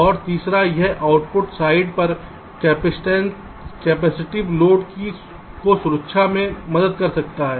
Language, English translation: Hindi, and thirdly, it can help shield capacitive load on the output side